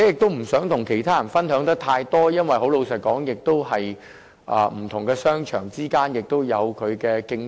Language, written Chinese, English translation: Cantonese, 它們不想與其他人分享得太多資料，老實說，因為不同商場之間亦存在競爭。, They are not generous in sharing information with others because honestly competition does exist among various shopping malls